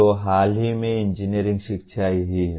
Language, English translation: Hindi, So this is what is the engineering education until recently